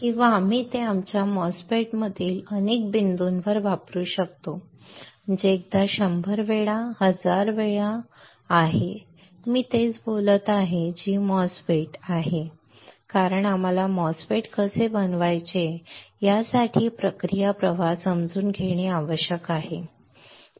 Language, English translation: Marathi, Or we can use it at several points in our MOSFET that is one time a 100 times 1000 times I am speaking same thing which is MOSFET, MOSFET, MOSFET why because we have to understand the process flow for how to fabricate a MOSFET alright